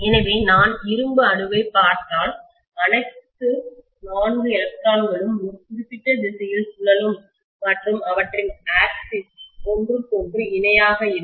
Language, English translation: Tamil, So if I look at the iron atom, all the 4 electrons will spin in a particular direction and their axis are being parallel to each other